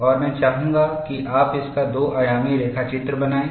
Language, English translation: Hindi, And I would like you to make a two dimensional sketch of this